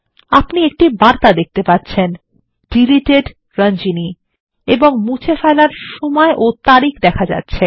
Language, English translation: Bengali, You will see the message Inserted Ranjani: followed by date and time of insertion